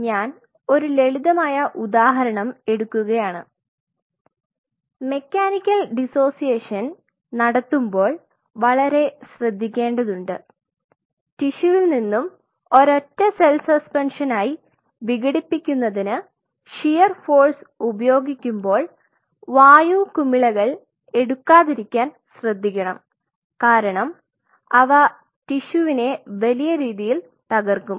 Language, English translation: Malayalam, I am just taking up one simple example and one has to be slightly careful while you are doing mechanical dissociation, while you are kind of you know offering a shear force to the piece of tissue to dissociate it into single cell suspension you ensure that you are not picking up air bubbles those air bubbles damage the tissue big time